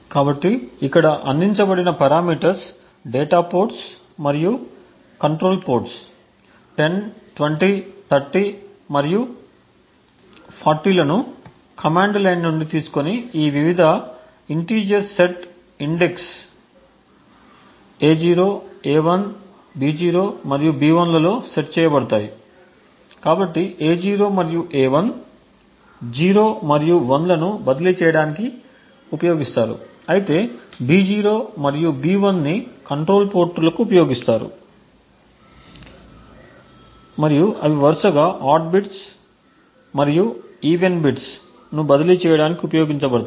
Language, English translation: Telugu, So, the arguments that are provided over here that is the control ports and the data ports that is 10, 20, 30 and 40 are taken from the command line and set into these various integers set index A0, A1, B0 and B1, so A0 and A1 are used to transfer 0 and 1 while B0 and the BE are used for the control ports and where they are used to transfer the odd bits and the even bits respectively